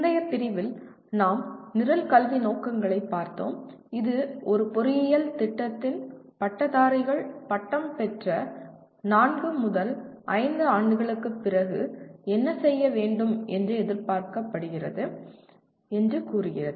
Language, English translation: Tamil, In the earlier unit we looked at Program Educational Objectives, which state that what the graduates of an engineering program are expected to be doing 4 5 years after graduation